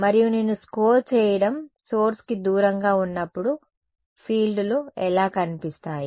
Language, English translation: Telugu, And when I score stands far away from the source what do the fields look like